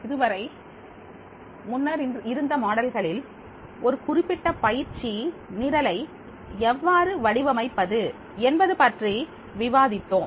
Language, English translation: Tamil, So, far we have discussed about in earlier model about how to design a particular training programs